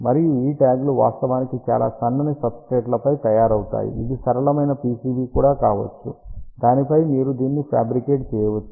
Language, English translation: Telugu, And majority of the time these tags are actually made on very thin substrates, it can be even a flexible PCB also on which you can fabricate these thing